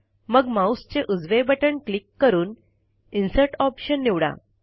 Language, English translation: Marathi, Then right click and choose the Insert option